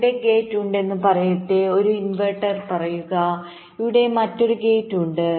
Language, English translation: Malayalam, so what i mean is something like this: let say there is a gate here, say an inverter, there is another gate here